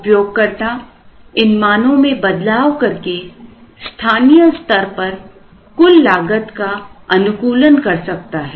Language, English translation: Hindi, The user could vary these values and try and locally optimize the total cost